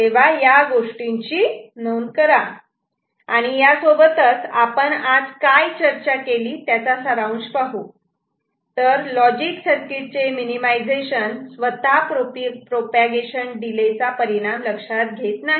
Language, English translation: Marathi, And with this we summarise what we discussed today that logic circuit minimization on its own does not consider the effect of propagation delay